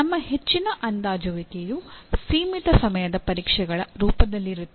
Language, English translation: Kannada, Most of our evaluation or assessment is in the form of limited time examinations